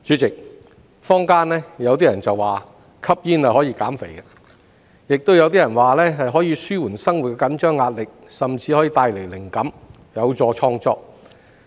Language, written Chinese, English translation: Cantonese, 主席，坊間有人說吸煙可以減肥，亦有人說可以紓緩生活的緊張壓力，甚至帶來靈感，有助創作。, President some people in the community say that smoking can reduce weight while some others say that it can relieve the stress of life and even bring inspiration and stimulate creativity